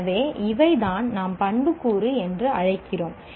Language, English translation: Tamil, So these are what we call attributing